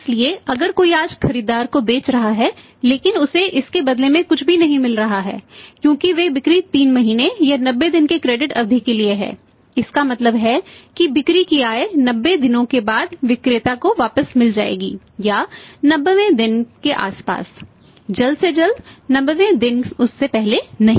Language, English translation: Hindi, So, if somebody is selling today he is selling to the buyer but he is not getting anything in return to that because those sales are for a credit period of stay 3 months 90 days it means sale proceeds will be realised to the seller back after 90 days around the 90th day earliest is the 90th day not before that